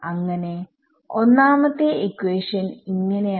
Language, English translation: Malayalam, So, equation 1 it becomes